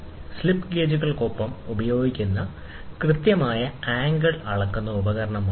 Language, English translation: Malayalam, It is a precision angle measuring instrument used along with the slip gauges